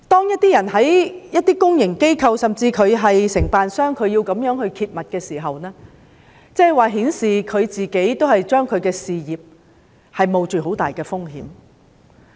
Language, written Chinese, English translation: Cantonese, 因此，有些人在公營機構、甚至是承辦商工作而想揭密時，他們已經令自己的事業蒙上很大風險。, Therefore those working for public organizations and even contractors who wish to blow the whistle have already put their career in great risks